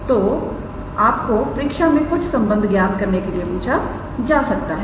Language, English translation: Hindi, So, now, you might be asked in your exam to prove few relations